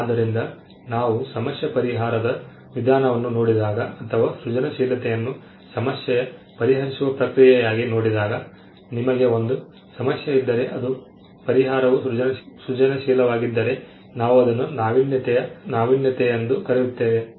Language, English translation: Kannada, So, when we look at the problem solution approach in or when we look at creativity as a process of problem solving, you have a problem for which we find the solution and if the solution is creative then we call that as innovation there is an innovation